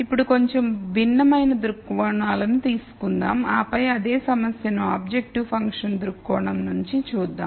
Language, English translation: Telugu, Now, let us take a slightly different viewpoints and then look at the same problem from an objective function viewpoint